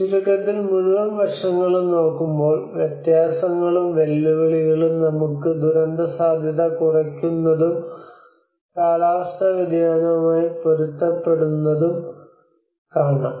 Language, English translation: Malayalam, So to summarise whole aspect we see that differences and challenges we have disaster risk reduction and the climate change adaptation